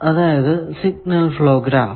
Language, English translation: Malayalam, Now, what is a signal flow graph